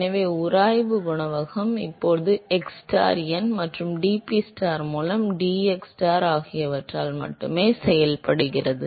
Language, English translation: Tamil, So, the friction coefficient is now function of only xstar, Reynolds number and dPstar by dxstar